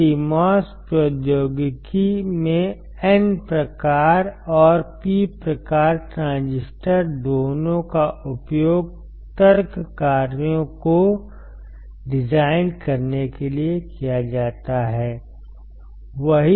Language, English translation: Hindi, So, in CMOS technology both N type and P type transistors are used to design logic functions